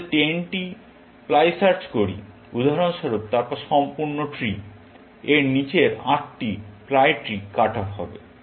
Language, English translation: Bengali, If we were doing 10 ply search, for example, then the entire trees; 8 ply trees below this, would be cut off